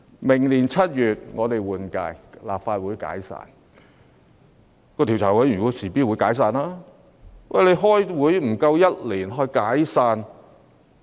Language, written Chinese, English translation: Cantonese, 明年7月換屆，立法會便會解散，專責委員會亦會隨之解散。, Come July next year at the time of the general election for the next term the Legislative Council will be dissolved so will the select committee consequently